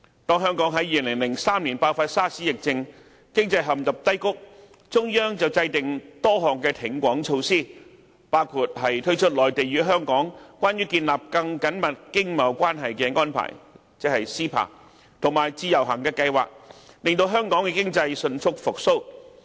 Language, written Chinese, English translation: Cantonese, 當香港在2003年爆發 SARS 疫症，經濟陷入低谷，中央制訂多項挺港措施，包括推出"內地與香港關於建立更緊密經貿關係的安排"和自由行計劃，令香港經濟迅速復蘇。, In view of the economic downturn of Hong Kong in the aftermath of the SARS epidemic the Central Government introduced a series of support measures including the MainlandHong Kong Closer Economic Partnership Arrangement or CEPA and the Individual Visit Scheme . With such help Hong Kongs economy recovered quickly